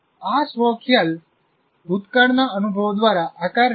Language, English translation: Gujarati, And this self concept is shaped by the past experiences